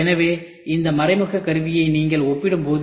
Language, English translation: Tamil, So, when you compare this indirect tooling